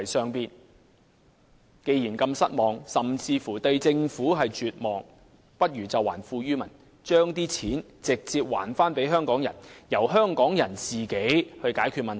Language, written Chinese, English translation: Cantonese, 他們認為，既然對政府如此失望甚至絕望，政府不如還富於民，把金錢直接交還給市民，讓香港人自行解決問題。, In their view as they are so disappointed with the Government and have even given up all hope it would be better for the Government to return wealth to the people by giving money back to them directly so that people can solve the problems by themselves